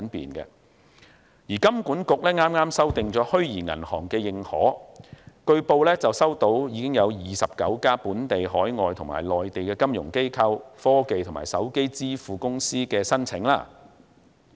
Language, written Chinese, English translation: Cantonese, 香港金融管理局剛剛修訂了《虛擬銀行的認可》指引，據報已收到29家本地、海外及內地的金融機構、科技和手機支付公司申請。, The Hong Kong Monetary Authority HKMA has just finished updating the Guideline on Authorization of Virtual Banks . It has allegedly received applications from 29 local foreign and Mainland financial institutions technology and mobile payment corporations